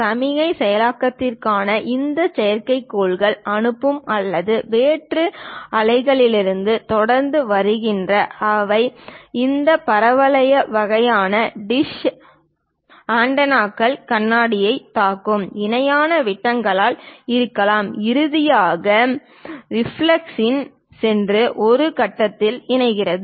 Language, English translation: Tamil, For signal processing, either these satellites sending or from extraterrestrial waves are continuously coming; they might be parallel beams which strike this parabolic kind of dish antennas mirrors, goes finally in reflux and converge to one point